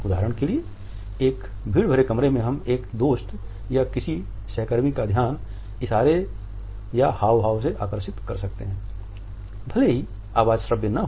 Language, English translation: Hindi, For example, in a crowded room we can try to attract the attention of a friend or a colleague by making certain gestures even though the voice is not audible